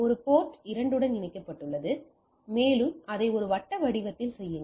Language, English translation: Tamil, A is connected to port 2, and go on doing this in a circular fashion